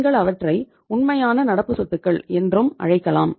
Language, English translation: Tamil, You can call them as the real current assets also